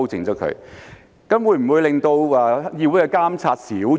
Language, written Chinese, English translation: Cantonese, 這樣會否令到議會的監察少了？, Will this undermine the monitoring by the legislature?